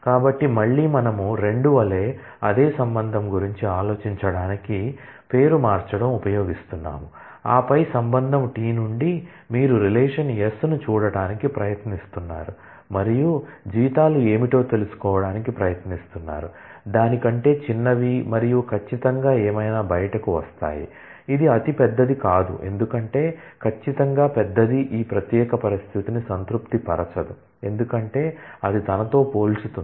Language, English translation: Telugu, So, again we are using renaming to think of the same relation as 2, and then as if from the relation T you are trying to look at relation S and finding out what are the salaries, which are smaller than that and certainly whatever comes out is the one which is not the largest because, certainly the largest will not satisfy this particular condition, because it will get compared with itself